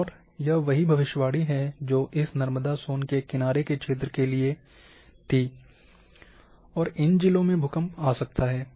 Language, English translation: Hindi, And this is what the predicted that in this Narmada Son lineament is going and the earthquake might occur in these districts